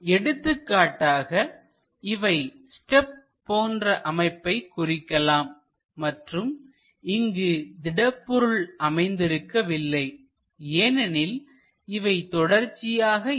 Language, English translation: Tamil, For example, this might be something like a step and there is no material here because this is not a continuous portion